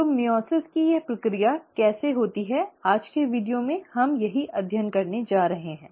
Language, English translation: Hindi, So, how does this process of meiosis takes place is what we are going to study in today’s video